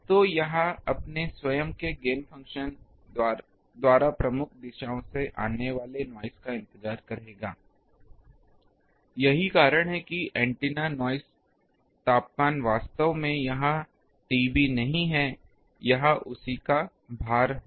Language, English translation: Hindi, So, it will wait the noises coming from major directions by its own gain function so that is why antenna noise temperature is not exactly this T B it will be a weighting of that